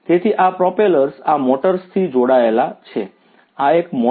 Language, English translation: Gujarati, So, these propellers are connected to these motors, this is a motor